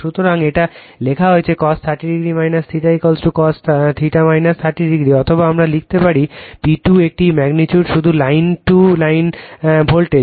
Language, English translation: Bengali, So, it is written cos 30 degree minus theta is equal to cos theta minus 30 degree right; or we can write P 2 is equal is a magnitude only line to line voltage